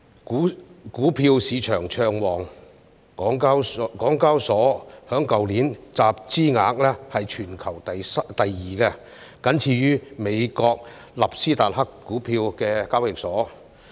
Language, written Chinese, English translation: Cantonese, 股票市場暢旺，香港交易所去年的集資額全球排行第二，僅次於美國納斯達克股票交易所。, The stock market was buoyant with the Stock Exchange of Hong Kong Limited ranking second in the world in terms of capital raised last year after the NASDAQ stock exchange in the US